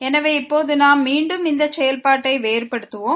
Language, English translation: Tamil, So now we will again differentiate this function with respect to keeping constant